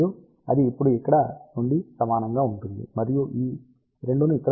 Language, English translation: Telugu, And, that is now equal to from here you can obtain this 2 goes over here 2